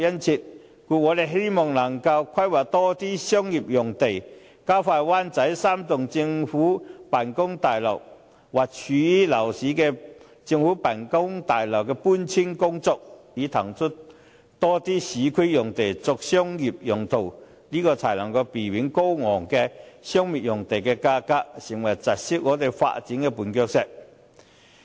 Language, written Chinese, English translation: Cantonese, 故此，我們希望能夠規劃多些商業用地，加快灣仔3幢政府辦公大樓或位於鬧市的政府辦公大樓的搬遷步伐，以騰出更多市區用地作商業用途，避免高昂的商業用地價格成為窒礙香港發展的絆腳石。, The keen demands for commercial land are thus evident . As such we hope more commercial sites will be planned and the pace of relocation of the three government offices buildings in Wan Chai and other such buildings in downtown areas can be expedited so that more urban sites can be vacated for commercial purposes thereby preventing exorbitant commercial land premiums from becoming a stumbling block to Hong Kongs development